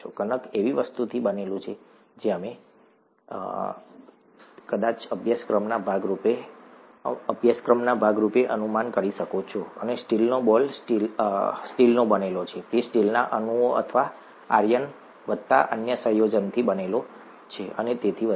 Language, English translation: Gujarati, Dough is made up of something which we will, which you will probably be able to guess as a part of this course and steel ball is made up of steel, it is made up of steel molecules or iron plus other combination and so on and so forth